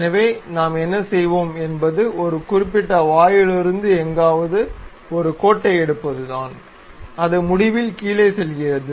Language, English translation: Tamil, So, what we will do is pick a line from somewhere of certain mouth, it goes there all the way down end